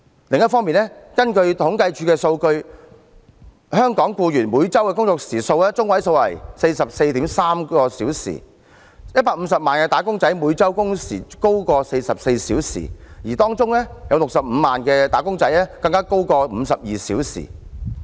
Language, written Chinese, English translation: Cantonese, 另一方面，根據政府統計處數據，香港僱員每周工作中位時數為 44.3 小時 ，150 萬名"打工仔"每周工時高於44小時，當中65萬名"打工仔"更高於52小時。, On the other hand according to government statistics the median working hours of employees in Hong Kong is 44.3 hours per week with 1 500 000 wage earners working over 44 hours a week and 650 000 even working for more than 52 hours a week